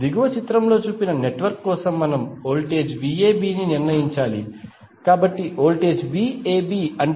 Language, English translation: Telugu, For the network shown in the figure below we need to determine the voltage V AB, so voltage V AB means V A minus V B